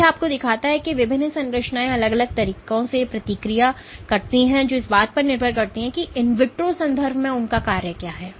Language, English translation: Hindi, So, this shows you the different structures respond in different ways depending on what their function is within the in vitro context ok